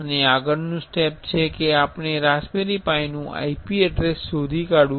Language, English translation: Gujarati, And next step is we have to find out the IP address of the raspberry pi